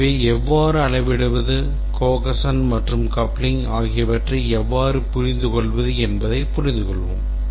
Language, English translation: Tamil, So, let's try to understand how to measure, define cohesion and coupling